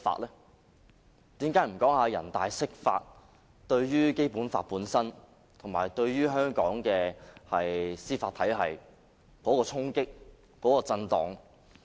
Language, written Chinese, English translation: Cantonese, 為何不說人大釋法對《基本法》本身和對香港的司法體系的衝擊和震盪？, Why dont they talk about the impacts of such interpretations on the Basic Law itself and also the rule of law?